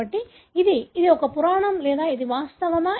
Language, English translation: Telugu, So, this is the, is it, is it a myth or is it a reality